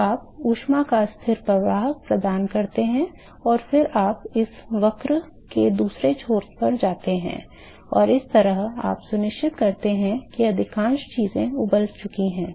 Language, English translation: Hindi, So, you provide constant flux of heat and then you go and reach the other end of this curve and that is how you ensure that most of the things is boiled